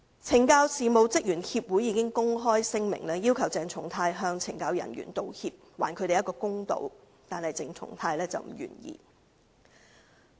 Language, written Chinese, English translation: Cantonese, 懲教事務職員協會已發表公開聲明，要求鄭松泰議員向懲教人員道歉，還他們一個公道，但鄭松泰議員不願意這樣做。, The Correctional Services Officers Association has issued an open statement demanding Dr CHENG Chung - tai to apologize to the CSD officers to do them justice but Dr CHENG Chung - tai is unwilling to do so